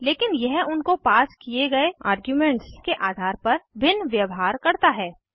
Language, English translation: Hindi, But it behaves differently depending on the arguments passed to them